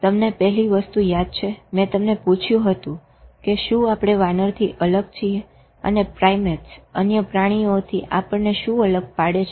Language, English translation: Gujarati, You remember the first thing itself, I asked whether we are different from ape and what differentiates us from the primates and other animals